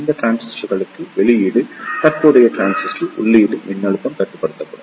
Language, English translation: Tamil, The output current in this transistors is controlled by the input voltage of the transistor